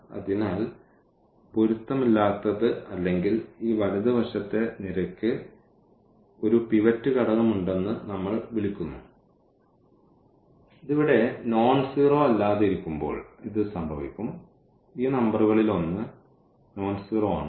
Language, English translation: Malayalam, So, inconsistent or we call this rightmost column has a pivot element and this will exactly happen when we have this here nonzero or sitting in one of one of these number is nonzero